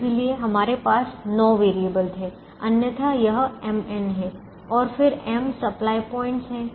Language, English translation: Hindi, otherwise it is m, n and then there are m supply points